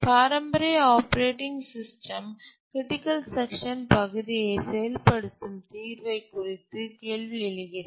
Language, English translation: Tamil, So, what are the traditional operating system solution to execute critical section